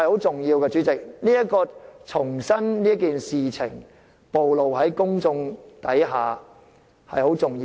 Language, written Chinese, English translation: Cantonese, 主席，重新將這件事暴露於公眾眼前，是十分重要的。, President it is very important for the incident to be in the public eye again